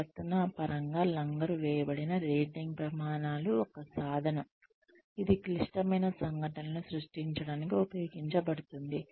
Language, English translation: Telugu, Behaviorally anchored rating scales are a tool, that is used to generate critical incidents